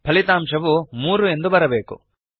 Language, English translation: Kannada, You should get the result as 3